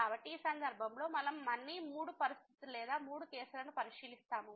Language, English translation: Telugu, So, in this case we will consider three situations or three cases again